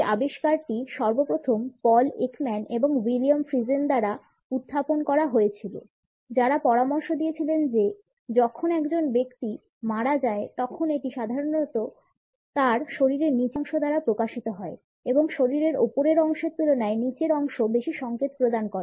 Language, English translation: Bengali, This finding was first of all put forward by Paul Ekman and William Friesen, who suggested that when a person dies, then it is normally revealed by the lower part of his body and the lower part of the liers body communicates more signals in comparison to the upper body portions